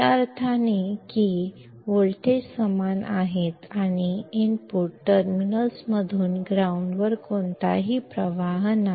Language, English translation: Marathi, In the sense that the voltages are same and no current flows from the input terminals to the ground